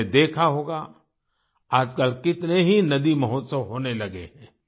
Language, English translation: Hindi, You must have seen, nowadays, how many 'river festivals' are being held